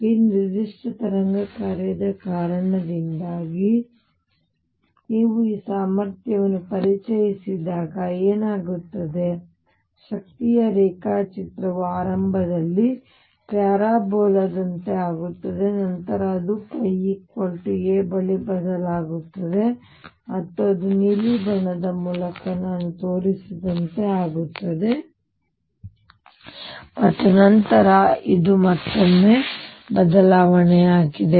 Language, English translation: Kannada, Now what happens now when you introduce this potential because of this particular form of the wave function, the energy diagram becomes like the parabola initially and then it changes near pi equals a it changes and becomes like what I have shown through blue colour, and after this again there is a change